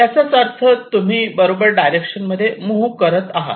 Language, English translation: Marathi, that means you are moving in the right direction